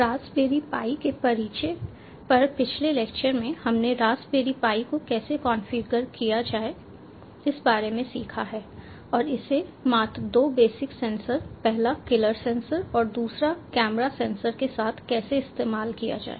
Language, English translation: Hindi, in the previous lectures on introduction to raspberry pi, we have learned about how to configure raspberry pi and how to use it along with two bear basic sensors on is killer sensor and the other one a camera sensor